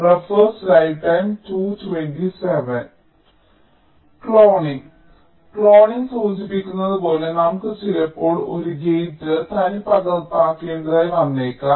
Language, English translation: Malayalam, cloning as it implies that we sometimes may need to duplicate a gate